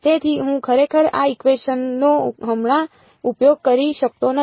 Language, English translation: Gujarati, So, I cannot actually use this equation right now